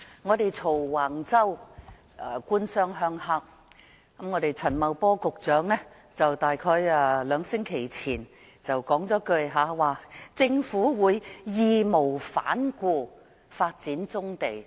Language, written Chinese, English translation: Cantonese, 我們罵橫洲問題是"官商鄉黑"，我們的陳茂波局長約在兩星期前便說"政府會義無反顧地發展棕地"。, We condemned the Wang Chau incident for government - business - rural - triad collusion . About a fortnight ago Secretary Paul CHAN said that the Government is committed to developing brownfield sites